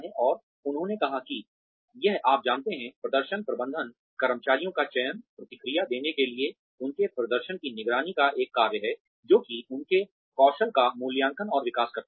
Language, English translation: Hindi, And, they said that, it is you know, performance management is a function of, selection of the employees, of giving feedback, of monitoring their performance, which is appraisal and development of their skills